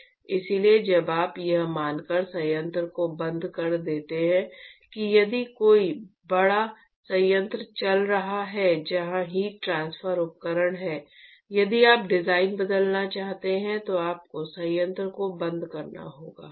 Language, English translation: Hindi, So, when you shut down the plant supposing if there is a big plant which is running where there is the heat transfer equipment, if you want to change the design you would have to shut down the plant